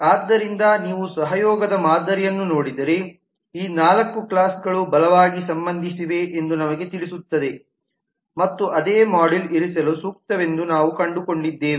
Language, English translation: Kannada, so if you look at the collaboration pattern will tell us that these four classes are strongly related that has also been collaborated by the fact that we found them suitable to be put in the same module